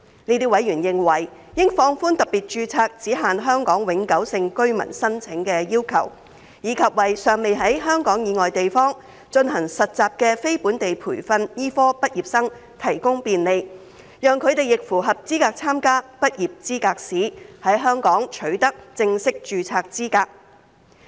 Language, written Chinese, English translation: Cantonese, 這些委員認為，應放寬特別註冊只限香港永久性居民申請的要求，以及為尚未在香港以外地方進行實習的非本地培訓醫科畢業生提供便利，讓他們亦符合資格參加執業資格試，在香港取得正式註冊資格。, In their view the Hong Kong permanent resident HKPR requirement for special registration should be relaxed . Also facilitation should be provided for the non - locally trained medical graduates who have yet to undergo internship outside Hong Kong to be eligible to take the Licensing Examination in order to obtain full registration in Hong Kong